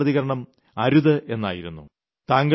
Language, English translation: Malayalam, Their first reaction was, "Oh no